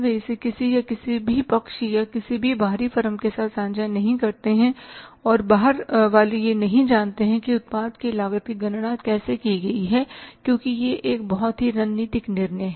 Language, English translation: Hindi, They don't share it with anybody or any other side or any outside firm and outsiders don't know how the cost of the product is calculated because it is a very strategic decision